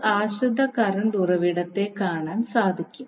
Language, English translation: Malayalam, Where, you see the dependant current source